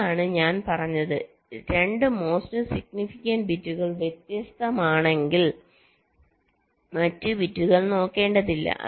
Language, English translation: Malayalam, if the two most significant bits are different, then there is no need to look at the other bits